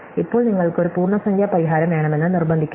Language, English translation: Malayalam, Now, why not just insist that you want an integer solution